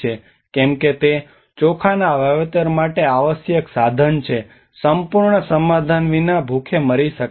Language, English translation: Gujarati, Because it is a resource essential to the cultivation of rice, without an entire settlement could be starved